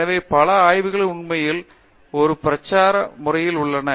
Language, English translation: Tamil, So, many labs are actually getting on a campaign mode